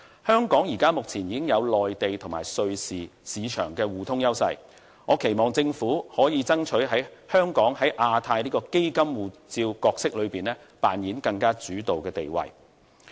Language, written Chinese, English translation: Cantonese, 香港目前已經擁有內地及瑞士市場互通的優勢，我期望政府能夠爭取香港在亞太區"基金護照"這一個角色裏面扮演更主導的地位。, Now that Hong Kong possesses the edge of having connection with the Mainland and Switzerland I hope the Government can strive for a bigger leadership role for Hong Kong in the Asia Region Funds Passport initiative